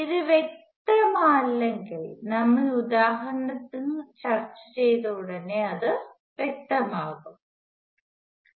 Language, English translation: Malayalam, So, if this is not clear, it will be clear immediately after we discuss examples